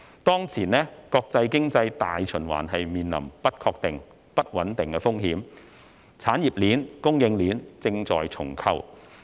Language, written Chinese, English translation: Cantonese, 當前，國際經濟大循環面臨不確定、不穩定風險，產業鏈、供應鏈正在重構。, At present international economic circulation is facing the risk of uncertainty and instability and the industrial and supply chains are being restructured